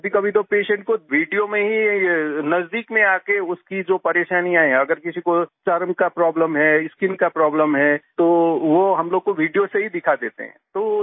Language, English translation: Hindi, And sometimes, by coming close to the patient in the video itself, the problems he is facing, if someone has a skin problem, then he shows us through the video itself